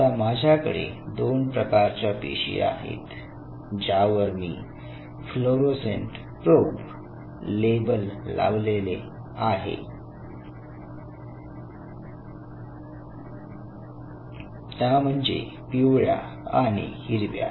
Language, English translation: Marathi, So now I have 2 cells which are now labeled with 2 fluorescent probes, yellow and the green, right